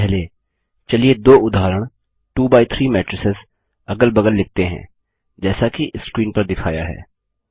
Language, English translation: Hindi, First let us write two example 2 by 3 matrices side by side as shown on the screen